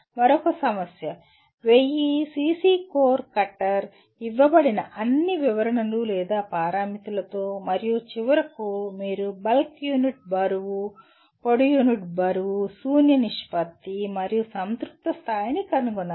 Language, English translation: Telugu, Another problem: A 1000 cc core cutter, again with all descriptions or parameters that are given and finally you have to determine bulk unit weight, dry unit weight, void ratio and degree of saturation